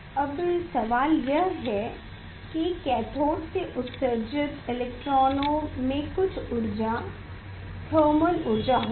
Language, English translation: Hindi, Now, question is that electrons emitted from the cathode it will have some energy thermal energy